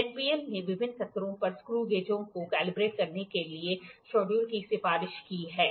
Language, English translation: Hindi, NPL has recommended schedules for calibrating the screw gauges at different level